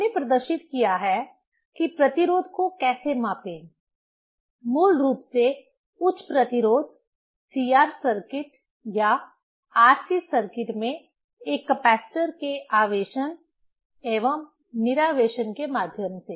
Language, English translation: Hindi, We have demonstrated how to measure resistance, basically high resistance through charging and discharging a capacitor in CR circuit or RC circuit